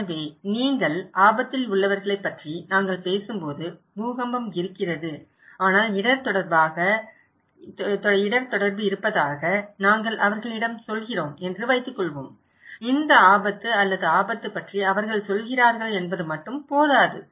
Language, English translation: Tamil, So, when we are talking about people that you are at risk, suppose we are telling them that there is an earthquake but a risk communication, only they tell about this risk or hazard, this is not enough